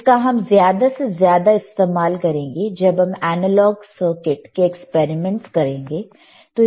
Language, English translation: Hindi, And that also we we heavily use when we do the analog circuits experiments